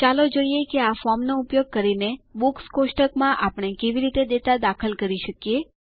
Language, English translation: Gujarati, Let us see how we can enter data into the Books table, using this form